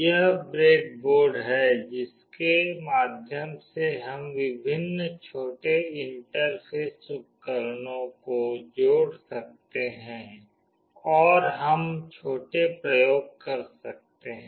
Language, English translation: Hindi, This is a breadboard through which we can connect various small interfacing devices and we can do small experiments